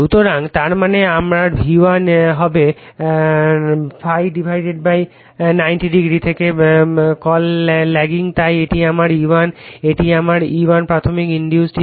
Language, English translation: Bengali, So, that means, my V1 will be your what you call lagging from ∅ / 90 degree therefore, this is my E1 this is my E1 the primary induced emf